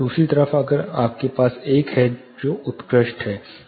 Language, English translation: Hindi, On the other side you have 1 which is excellent